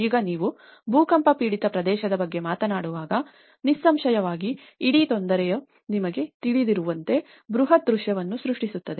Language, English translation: Kannada, Now, when you talk about an earthquake affected area, obviously, the whole trouble creates you know, a massive scene